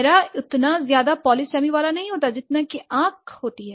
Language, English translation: Hindi, Face doesn't have much polysamy as like eyes have, right